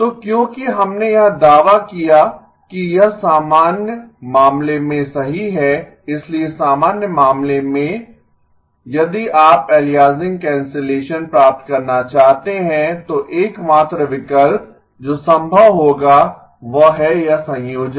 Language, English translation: Hindi, So because we made the claim that this is true in the general case, so in the general case if you want to get aliasing cancellation the only option that will be possible is this combination